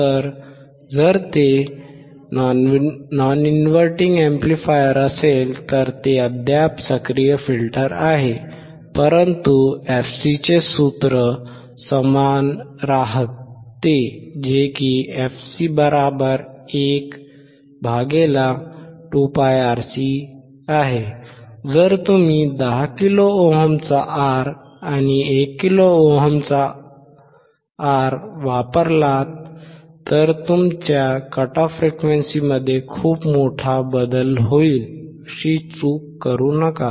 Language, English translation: Marathi, So, if it is non inverting amplifier it is still active filter it is inverting amplifier is still an active filter, but the formula of fc remains same fc = 1 / make no mistake that if you use the R of 10 kilo ohm and R of 1 kilo ohm there is a huge change in your cut off frequency